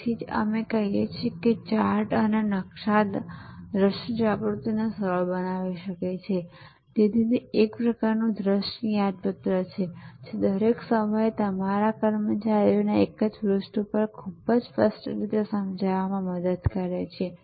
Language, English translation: Gujarati, So, that is why we say charts and map can facilitate visual awakening, so it is kind of a visual reminder it is all the time it helps all the employees to be on the same page at to understand very clearly